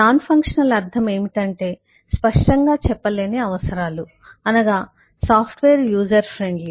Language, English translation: Telugu, by nonfunctional what is meant is which is not evident, that is, is the software user friendly